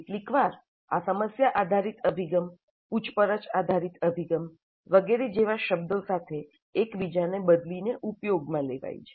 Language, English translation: Gujarati, Sometimes the term is used interchangeably with terms like problem based approach, inquiry based approach, and so on